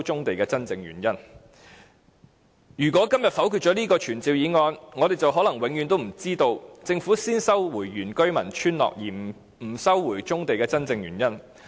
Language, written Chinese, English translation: Cantonese, 第一，如果今天否決了這項傳召議案，我們可能永遠不知道政府先收回非原居民村落土地而不收回棕地的真正原因。, First if this motion is negatived today we may never know the real reason why the Government first resumed the land of the non - indigenous villages but not the brownfield sites